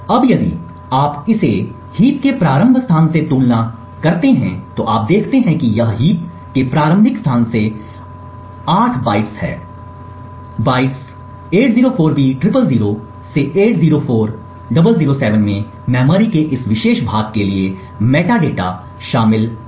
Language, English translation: Hindi, Now if you compare this with a start location of heap, you see that it is 8 bytes from the starting location of the heap, the bytes 804b000 to 804007 contains the metadata for this particular chunk of memory